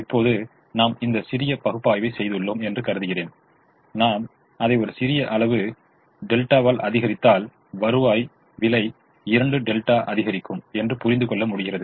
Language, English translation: Tamil, now let me assume that i have done this little analysis and i have understood that if i increase it by a small quantity delta, the the revenue will increase by two delta